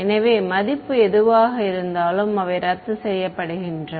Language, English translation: Tamil, So, whatever value they are it cancelled off